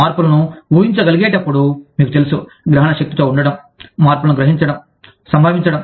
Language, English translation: Telugu, Being able to anticipate the changes, you know, being perceptive, being receptive to the changes, that are occurring